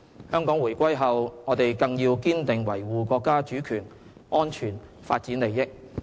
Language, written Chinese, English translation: Cantonese, 香港回歸後，我們更要堅定維護國家主權、安全、發展利益。, Now that Hong Kong has returned to China it is all the more important for us to firmly uphold Chinas sovereignty security and development interests